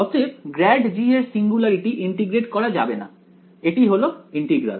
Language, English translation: Bengali, So, the singularity of grad g is not integrable this is integral